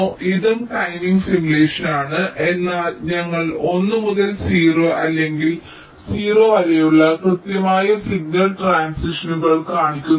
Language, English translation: Malayalam, this is also timing simulation, but we are not showing exact signal transitions from one to zero or zero to one